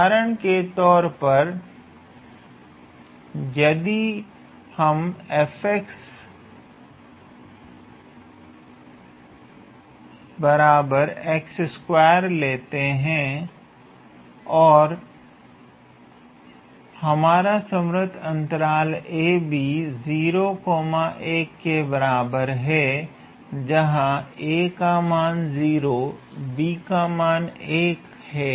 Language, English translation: Hindi, For example, let us say we have f x equals to x square and our closed interval a, b is equals to 0 comma 1, so where a is 0, and b is 1